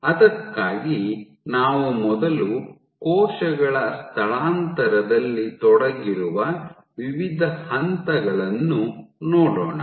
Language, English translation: Kannada, So, for that let us first look at the various steps which are involved in cell migration